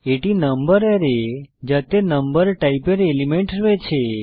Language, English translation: Bengali, This is the number array which has elements of number type